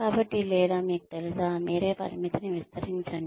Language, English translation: Telugu, So, or you know, stretch yourself to the limit